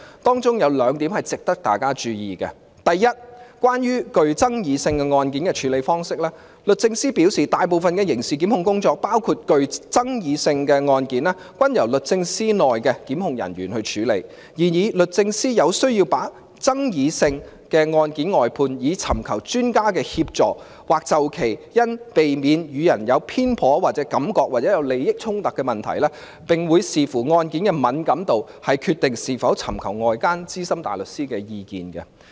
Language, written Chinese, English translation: Cantonese, 文件有兩點值得大家注意，第一，關於具爭議性的案件的處理方式，律政司表示，大部分的刑事檢控工作，包括具爭議性的案件均由律政司內的檢控人員處理，但律政司有需要把具爭議性的案件外判，以尋求專家的協助，或就其因避免予人有偏頗感覺或有利益衝突的問題，並會視乎案件的敏感度來決定是否尋求外間資深大律師的意見。, Two points are worth our attention . First regarding the handling of controversial cases DoJ advises that the majority of the prosecutions including controversial cases are conducted by in - house staff of DoJ . However there is a need for briefing out the prosecution of some controversial cases where expert assistance is needed or to avoid perception of bias or address issues of conflict of interests